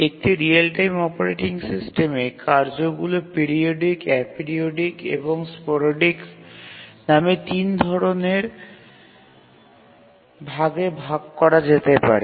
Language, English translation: Bengali, So, a real time operating system, the tasks can be broadly saying three types, periodic, a periodic and sporadic